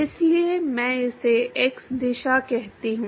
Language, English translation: Hindi, So, I call this as x direction